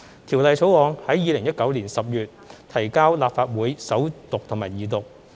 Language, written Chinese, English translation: Cantonese, 《條例草案》於2019年10月提交立法會首讀及二讀。, The Bill was first introduced to the Legislative Council for First and Second Reading in October 2019